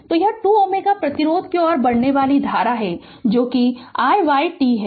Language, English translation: Hindi, So, that is the current flowing to 2 ohm resistance that is i y t